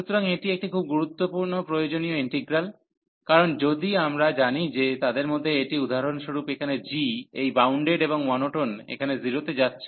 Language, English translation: Bengali, So, this is a very useful integral, because if we know that one of them, so for example g is here this bounded and monotone going to 0 here